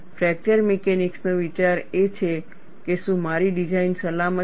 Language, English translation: Gujarati, The idea of fracture mechanics is, whether my design is safe